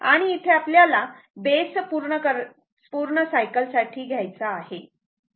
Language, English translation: Marathi, Here you have to take base for complete cycle right